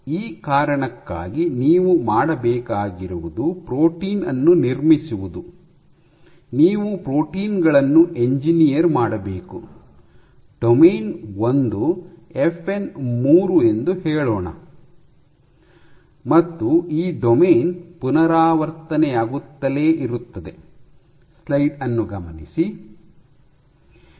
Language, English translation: Kannada, So, for this reason what you have to do is we have to construct protein, you have to engineer proteins, which have let us say domain one FN 3, this domain is repeated and so on and so forth